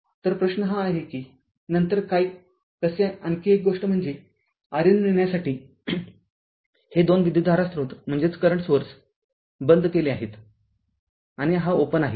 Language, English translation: Marathi, So, question is that that what then how they ah another thing is to get the your R N this two current source turned off, and this is open right